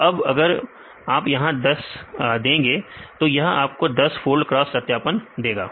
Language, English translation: Hindi, So, now, if you here if you give the 10; so they give the 10 fold cross validation